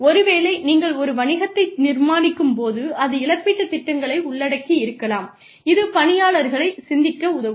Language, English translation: Tamil, So, maybe, when you are just setting up a business, the compensation plans could involve programs, that help the employees think